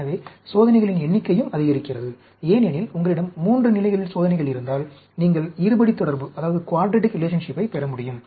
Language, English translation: Tamil, So, the number of experiments also increases; because, if you have experiments at 3 levels, you will be able to get a quadratic relationship